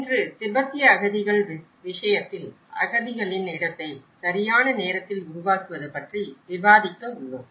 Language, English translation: Tamil, Today, we are going to discuss about the production of refugee place in time in the case of Tibetan refugees